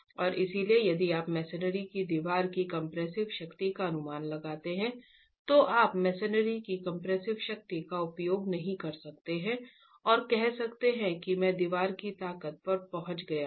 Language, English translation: Hindi, And therefore if you were to estimate the compressive strength of a masonry wall, you cannot use the compressive strength of the masonry and say, I have arrived at the strength of the wall